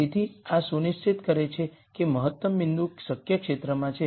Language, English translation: Gujarati, So this ensures that the optimum point is in the feasible region